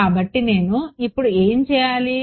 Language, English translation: Telugu, So, what do I do now